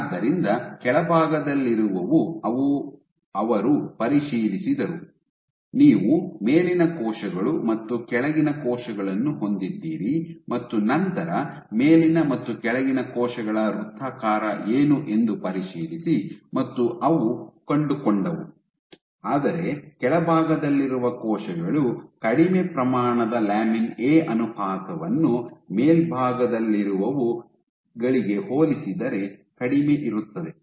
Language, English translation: Kannada, So, the ones at the bottom, so they checked; so you have the top cells and the bottom cells and then the check what is the circularity of the cells at the top and the bottom and they found, but the cells which were at the bottom also expressed lesser amount of lamin A ratio was less compared to those at the top ok